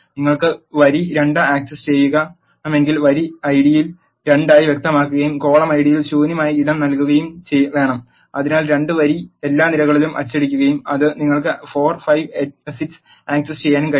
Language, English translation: Malayalam, If you want to access row 2 you have to specify in the row ID as 2 and leave empty space in the column ID and so that row two all the columns will print it and you will be able to access 4 5 6